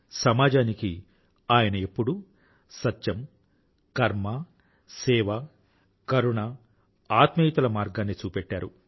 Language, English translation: Telugu, He always showed the path of truth, work, service, kindness and amity to the society